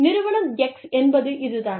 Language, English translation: Tamil, Firm X, is this